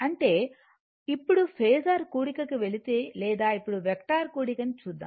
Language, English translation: Telugu, That means, now if you go for phasor sum or now you do vector sum